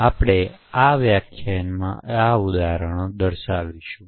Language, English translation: Gujarati, So we will demonstrate these examples in this lecture